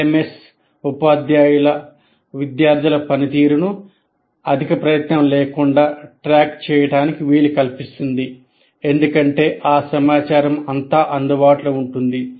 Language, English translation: Telugu, And LMS will also enable the teachers to keep track of students' performance without excessive effort